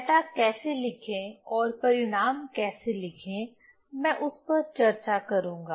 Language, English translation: Hindi, So, how to write data and how to write result